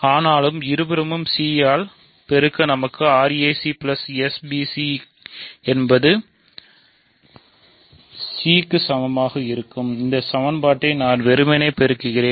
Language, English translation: Tamil, But; that means, I can multiply both sides by c to get r a c plus s b c is equal to c; I am just simply multiplying this equation by c